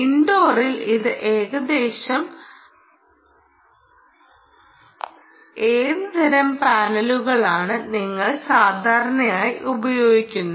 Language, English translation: Malayalam, what kind of panels do you typically use in indoor right